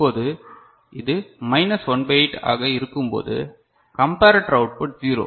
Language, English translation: Tamil, Now, when it is minus 1 by 8, the comparator output is 0 ok